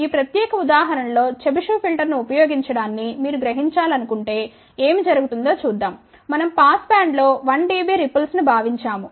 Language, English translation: Telugu, Let see what happens if you want to realize using Chebyshev filter here in this particular example we have assumed 1 dB ripple in the pass band